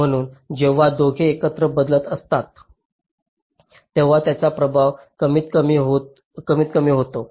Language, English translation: Marathi, so when both are switching together the effect is the least